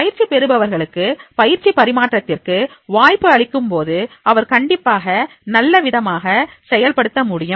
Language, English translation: Tamil, If the opportunity of transfer of training is given to the trainee, then definitely he will be able to demonstrate in a better way